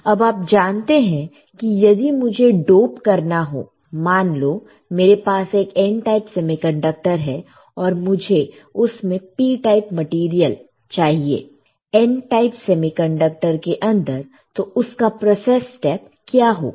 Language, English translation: Hindi, Now, you guys know if I want to dope, let us say if I have a N type semiconductor and I want to have a P type material in N type semiconductor right what is a process step